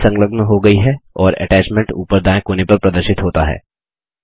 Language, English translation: Hindi, The file is attached and the attachment is displayed at the top right corner.Click Send